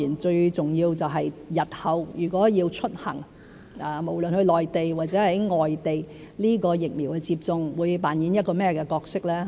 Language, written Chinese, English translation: Cantonese, 最重要就是日後如果要出行，無論到內地或外地，疫苗接種會扮演一個甚麼角色。, The most important thing is what role vaccination will play when they travel whether to the Mainland or overseas in the future